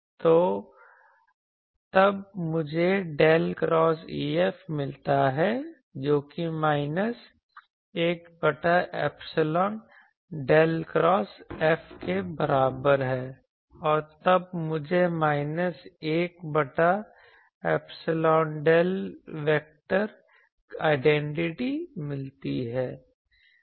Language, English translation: Hindi, So, then I get del cross E F is equal to minus 1 by epsilon del cross del cross F and that gives me minus 1 by epsilon del vector identity